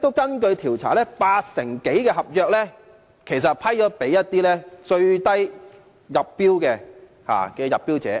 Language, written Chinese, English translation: Cantonese, 根據調查顯示，其實八成多的合約是批給出標價最低的入標者。, According to survey findings actually some 80 % of the contracts were awarded to tenders offering the lowest bid